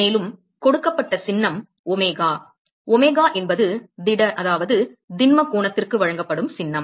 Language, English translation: Tamil, And the symbol that is given is omega; Omega is the symbol that is given for solid angle